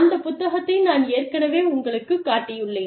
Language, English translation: Tamil, I have already shown you, that book